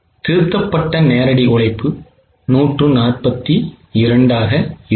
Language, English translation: Tamil, Revised direct labor will be 142